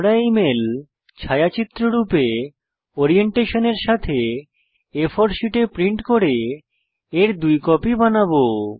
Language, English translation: Bengali, We shall print this mail on an A4 sheet, with Orientation as Portrait and make two copies of this mail